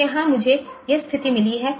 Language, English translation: Hindi, So, here I have got this situation